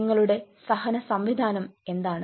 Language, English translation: Malayalam, what is your tolerance mechanism